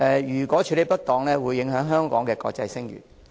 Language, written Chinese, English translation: Cantonese, 如果處理不當，會影響香港的國際聲譽。, If this is not properly handled the international reputation of Hong Kong will be tarnished